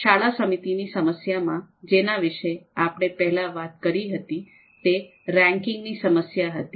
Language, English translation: Gujarati, So the school committee you know problem that we talked about that was the ranking problem